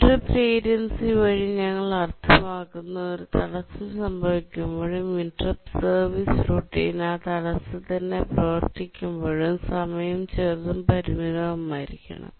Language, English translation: Malayalam, What we mean by the interrupt latency is that when an interrupt occurs and by the time the interrupt service routine runs for that interrupt, the time must be small and bounded